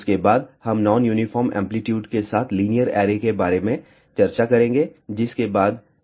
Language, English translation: Hindi, After, that we will discuss about linear arrays with non uniform amplitude followed by planar arrays